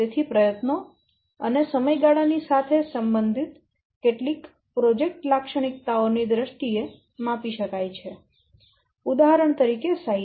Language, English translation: Gujarati, So, that's why the effort and the duration they can be measured in terms of certain project characteristics that correlative with, for example, is that called size